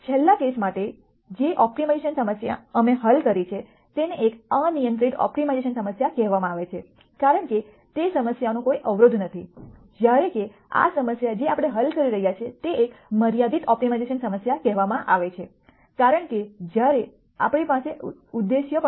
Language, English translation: Gujarati, The optimization problem that we solved for the last case is what is called an unconstrained optimization problem because there are no constraints to that problem whereas, this problem that we are solving is called a constrained optimization problem because while we have an objective we also have a set of constraints that we need to solve